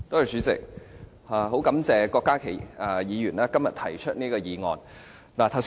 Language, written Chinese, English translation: Cantonese, 主席，非常感謝郭家麒議員今天提出這項議案。, President I am most grateful to Dr KWOK Ka - ki for proposing todays motion